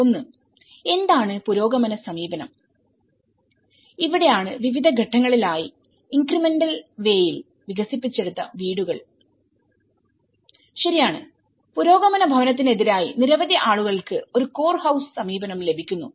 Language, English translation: Malayalam, So one is, what is progressive approach, these are the houses developed in different stages in incremental way, right and many people gets a core house approach versus with the progressive housing